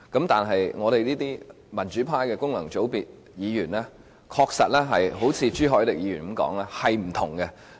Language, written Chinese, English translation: Cantonese, 但是，我們民主派的功能界別議員，確實如朱凱廸議員所說般，是有所不同的。, However like Mr CHU Hoi - dick said Members returned by functional constituencies in our pro - democracy camp are indeed different